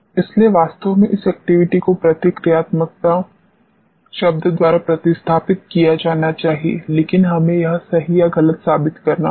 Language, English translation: Hindi, So, truly speaking this activity should be replaced by the word reactivity, but we have to prove this right or wrong